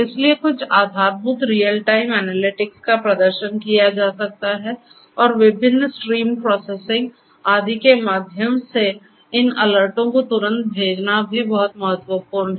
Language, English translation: Hindi, So, certain baseline real time analytics could be performed and it is also very important to instantly send these alerts through different stream processing and so on